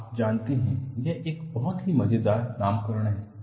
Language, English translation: Hindi, You know, it is a very funny nomenclature